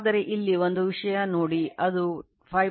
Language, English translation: Kannada, But one thing look here it is 5